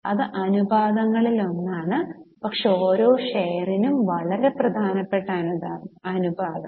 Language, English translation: Malayalam, This is one of the ratios but very important ratio earning per share